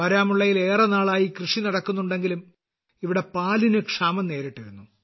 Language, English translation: Malayalam, Farming has been going on in Baramulla for a long time, but here, there was a shortage of milk